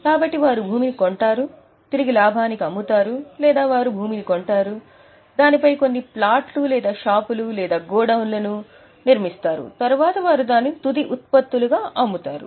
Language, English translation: Telugu, So, they buy land, either they sell land or they buy land, then they construct some flats or shops or go downs, then they sell it as finished products